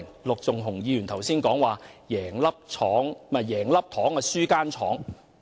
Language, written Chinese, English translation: Cantonese, 陸頌雄議員剛才說"贏了一顆糖，輸了一間廠"。, Just now Mr LUK Chung - hung talked about being penny - wise and pound - foolish